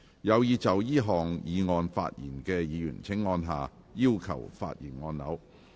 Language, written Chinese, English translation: Cantonese, 有意就這項議案發言的議員請按下"要求發言"按鈕。, Members who wish to speak on the motion will please press the Request to speak button